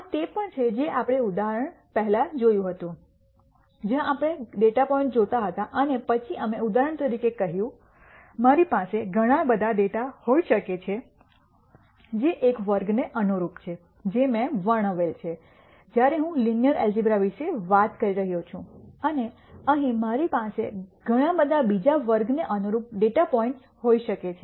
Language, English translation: Gujarati, This is also something that we had seen before, where we looked at data points and then we said for example, I could have lots of data here corresponding to one class this I described when we are talking about linear algebra and I could have lot of data points here corresponding to another class